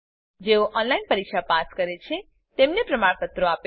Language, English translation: Gujarati, Gives certificates to those pass an online test